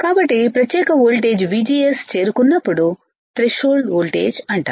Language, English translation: Telugu, So, this particular voltage right above which when VGS reaches is called your threshold voltage all right